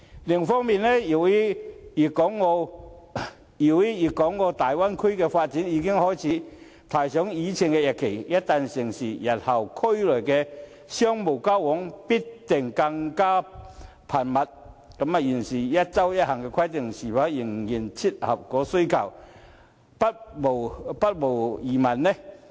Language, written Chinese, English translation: Cantonese, 另一方面，由於粵港澳大灣區的發展已經開始提上議程，一旦成事，日後區內的商務交往必定更為頻密，現時"一周一行"的規定是否仍然切合需求，不無疑問。, On the other hand as the development of the Guangdong - Hong Kong - Macao Big Bay Area has been proposed once a decision is made to implement the project the business contacts within the region will certainly become more frequent in the future and it is doubtful whether the current one trip per week measure can continue to meet the demand